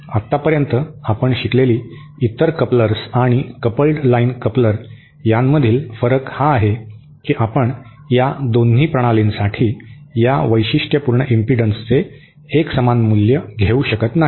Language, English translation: Marathi, Now, the difference between a coupled line coupler and the other couplers that we have discussed so far is that we cannot take a single value of this characteristic impedance for both the systems